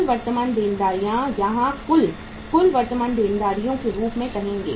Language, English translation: Hindi, Total current liabilities, you will say here as the total, total current liabilities